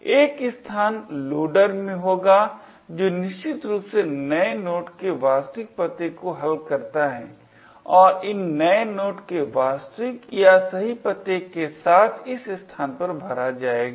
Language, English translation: Hindi, This location would be in the loader which essentially resolves the actual address of new node and these were would then fill in this location over here with the real or the correct address of new node